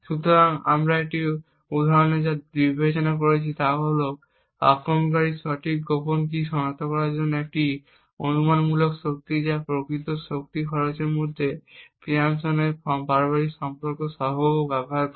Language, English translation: Bengali, So, what we considered in this example was that the attacker uses the Pearson’s correlation coefficient between a hypothetical power consumed and the actual power consumed in order to identify the correct secret key